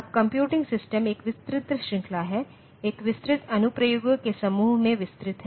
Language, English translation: Hindi, Now, computing systems it ranges over a wide range a wide set of applications